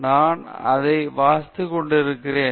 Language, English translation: Tamil, I am just reading it